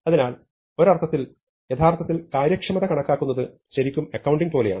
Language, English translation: Malayalam, So, in a sense actually estimating the efficiency of an algorithm, it is really like accounting